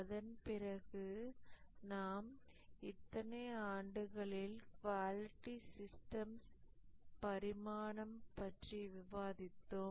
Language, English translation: Tamil, After that, we had just started discussing about the evolution of the quality systems over the years